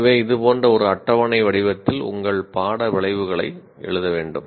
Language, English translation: Tamil, So that is how in a tabular form like this, you have to create your, you have to write your course outcomes